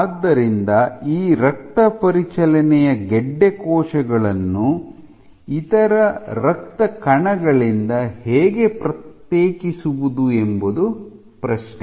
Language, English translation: Kannada, So, how do you isolate these circulating tumor cells is the question